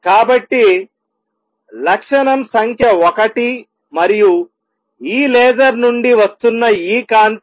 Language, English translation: Telugu, So, property number 1 and this light which is coming out this laser